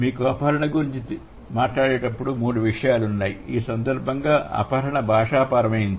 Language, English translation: Telugu, When you are when you talk about abduction, in this case abduction is linguistic abduction